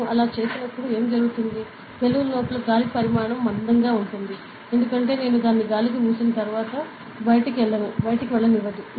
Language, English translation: Telugu, So, when I do that, what happens is, the volume of the air within the balloon will be like concentrate; because once I seal it off the air cannot go out, correct